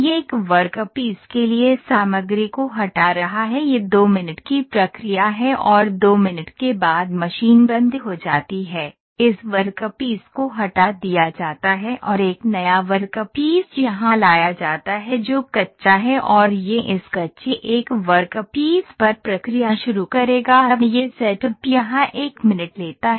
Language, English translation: Hindi, So, it is removing the material for one workpiece this is 2 minute process, after 2 minutes the machine stops this workpiece is taken off and a new workpiece is brought in here that is the raw one and it will start process on this now this setup this setup takes 1 minutes here